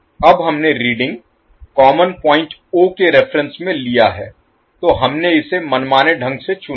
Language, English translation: Hindi, Now we have taken the reading with reference to common point o, so we have selected it arbitrarily